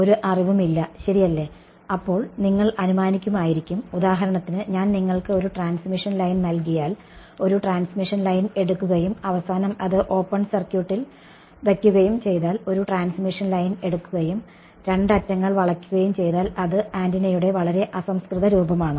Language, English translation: Malayalam, No idea right so, you might assume, for example, take a transmission line if I take if I give you a transmission line and I keep it open circuited at the end and if I bend the two ends that is one very crude form of an antenna ok